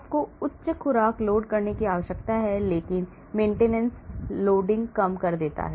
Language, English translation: Hindi, you need higher dose loading but reduces maintenance loading